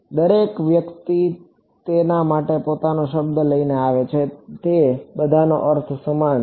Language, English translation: Gujarati, Everyone comes up with their own word for it they all mean the same thing ok